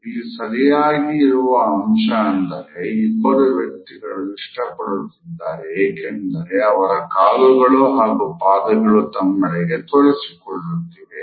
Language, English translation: Kannada, Here it is pretty clear these two people really like each other because their legs and feet are pointing towards each other